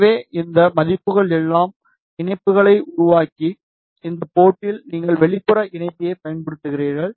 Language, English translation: Tamil, So, put these values make all the connections and at this port you use the external connector ok